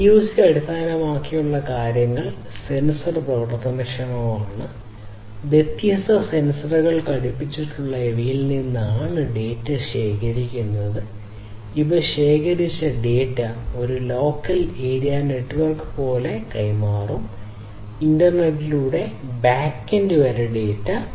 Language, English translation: Malayalam, So, IoT based things sensor enabled; this data that are collected from these the things which are fitted with different sensors, these will then transmit that collected data through something like a local area network; then sent that data further through the internet to the back end